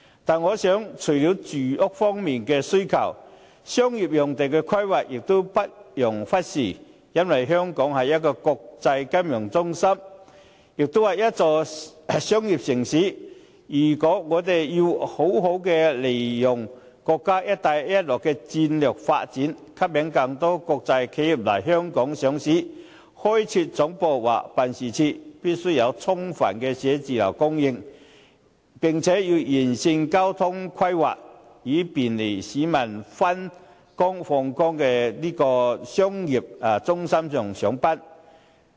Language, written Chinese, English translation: Cantonese, 但是，除了住屋方面的需求，商業用地的規劃也不容忽視，因為香港是一個國際金融中心，也是商業城市，如果我們要好好利用國家"一帶一路"的戰略發展，吸引更多國際企業來香港上市，或開設總部或辦事處，便須有充分的寫字樓供應，並且要完善交通規劃，以方便市民往返商業中心上班。, Nonetheless besides housing demands the planning of commercial land cannot be overlooked either because Hong Kong is an international financial centre as well as a commercial city . If we are to capitalize on the States strategic development of Belt and Road attract more international enterprises to seek listing or set up headquarters and offices in Hong Kong there must be an ample supply of offices and comprehensive transport planning to facilitate the public in commuting to and from the commercial centres to work